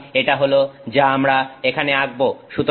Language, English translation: Bengali, So, that is what we are plotting here